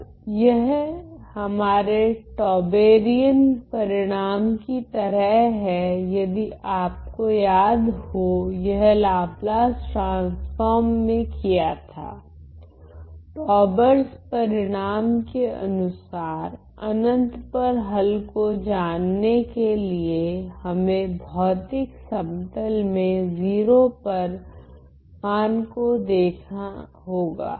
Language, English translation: Hindi, Now, this is similar to our Tauberian result if people recall students recall that according to Taubers result that was done in Laplace transform to look at the solution at infinity we need to look at the solution in the physical plane at 0